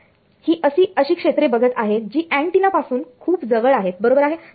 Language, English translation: Marathi, So, I am looking at regions very close to the antenna right